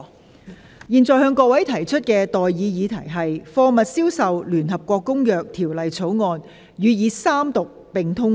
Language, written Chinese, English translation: Cantonese, 我現在向各位提出的待議議題是：《貨物銷售條例草案》予以三讀並通過。, I now propose the question to you and that is That the Sale of Goods Bill be read the Third time and do pass